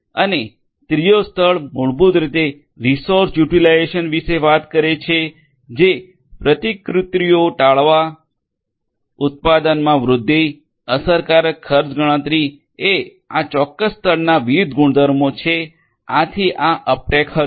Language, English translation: Gujarati, And the third tier basically talks about improved resource utilisation, avoiding replications, growth in production, effective cost computation these are the different properties of this particular layer, so that was Uptake